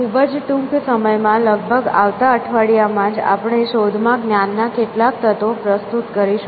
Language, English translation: Gujarati, So, very soon in fact, in the next week itself, we will introduce some element of knowledge into search